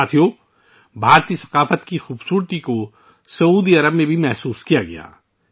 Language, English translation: Urdu, Friends, the beauty of Indian culture was felt in Saudi Arabia also